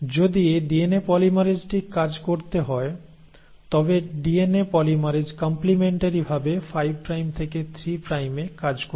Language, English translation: Bengali, And if the DNA polymerase has to work, the DNA polymerase will work in the complimentary fashion 5 prime to 3 prime